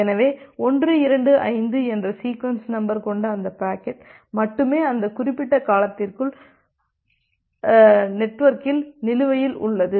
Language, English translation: Tamil, So, only that packet with the sequence number 125 is outstanding in the network within that particular duration